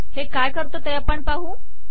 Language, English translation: Marathi, Lets see what this does